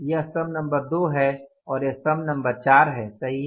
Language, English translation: Hindi, This is the column number 2 and this is the column number 4